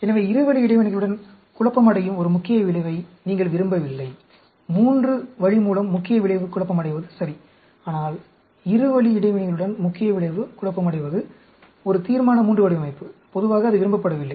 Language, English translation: Tamil, So, you do not want a main effect confounding with the two way interactions; main effect confounding with three way is ok, But, main effect confounding with two way interactions, is a Resolution III design, and generally, that is not desired